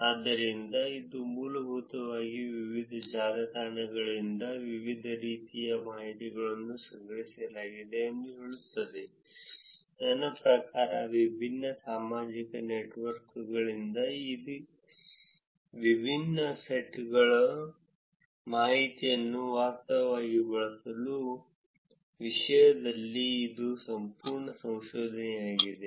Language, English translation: Kannada, So, this basically tells you different types of information are collected from different networks; I mean that is a whole body of research in terms of actually using these different sets of information from different social networks